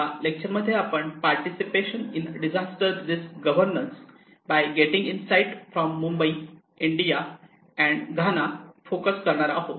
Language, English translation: Marathi, This lecture focus on participation in disaster risk governance by getting insights from Mumbai, India and Ghana